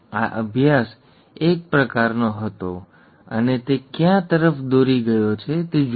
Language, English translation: Gujarati, This study was one such kind and look at where it has led to